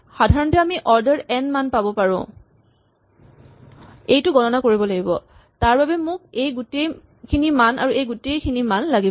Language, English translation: Assamese, In general, we could have order n values I need to compute for this I need to compute, I need all the values here and I need all the values here